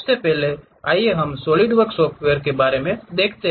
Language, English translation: Hindi, First of all let us quickly revisit this Solidworks software